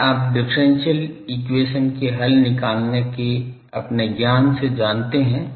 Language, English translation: Hindi, This you know from your knowledge of differential equation solution